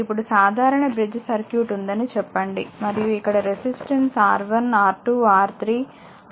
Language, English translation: Telugu, Now say simple bridge circuit is there and here you have resistance R 1, R 2, R 3, R 4, R 5, R 6